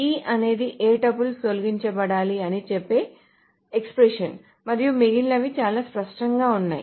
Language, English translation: Telugu, So, E is the expression that says which tuples needs to be deleted and the rest is very clear